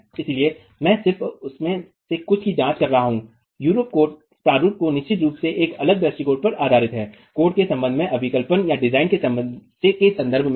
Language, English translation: Hindi, So, I'm just examining couple of them, the Eurocode format, which is of course based on a different approach in terms of design with respect to the IS code